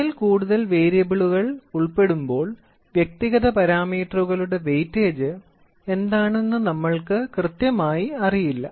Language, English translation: Malayalam, When more than one variable is involved then we do not know exactly what is the weightage of individual parameters